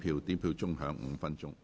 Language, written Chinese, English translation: Cantonese, 表決鐘會響5分鐘。, The division bell will ring for five minutes